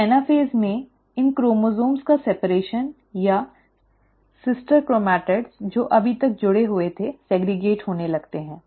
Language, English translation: Hindi, So in anaphase, the actual separation of these chromosomes or sister chromatids which were attached all this while starts getting segregated